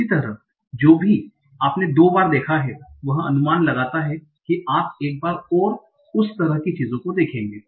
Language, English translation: Hindi, Similarly, whatever you have seen twice, use that to estimate the things you have you will see once and like that